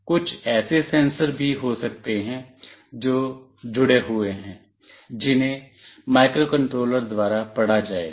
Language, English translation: Hindi, There might be some sensors that are also attached, which will be read by the microcontroller